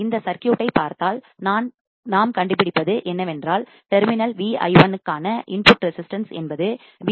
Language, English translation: Tamil, If you see this circuit, what we will find is that the input resistance to terminal Vi1 will be nothing but R1 plus R2 right